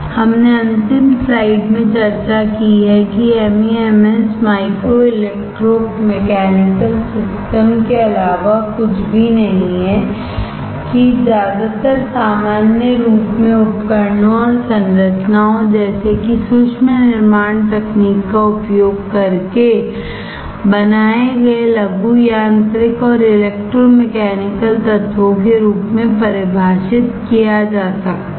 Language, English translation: Hindi, We have discussed in last slide the MEMS is nothing but Micro Electro Mechanical Systems, that in most general form can be defined as miniaturized mechanical and electromechanical elements such as devices and structures which are made using micro fabrication techniques, alright